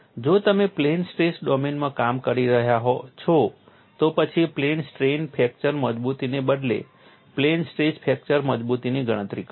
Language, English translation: Gujarati, If you are working in the plane stress domain then calculate the plane stress fracture toughness rather than plane strain fracture toughness